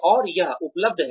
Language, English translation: Hindi, And, it is available